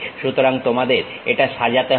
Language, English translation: Bengali, So, you have to really adjust it